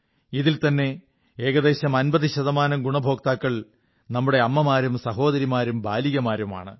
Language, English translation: Malayalam, About 50 percent of these beneficiaries are our mothers and sisters and daughters